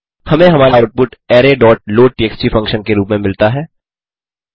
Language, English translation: Hindi, We get our output in the form of an array dot loadtxt function